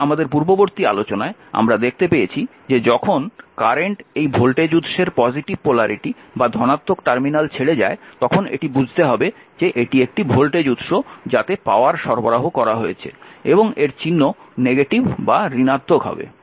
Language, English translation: Bengali, Now, previous when our previous discussion we are seen that, when that your current leaving the this is a voltage source current leaving the your positive polarity or positive terminal; that means, power is supplied and sign will be negative right